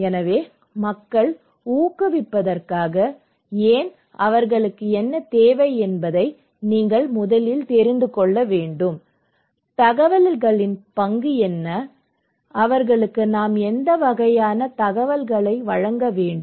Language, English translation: Tamil, So, in order to encourage people you first need to know why, what they need, what is the role of information, what kind of information we should provide to them